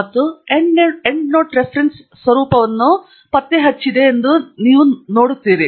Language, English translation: Kannada, And you would see that it has detected the Endnote Reference format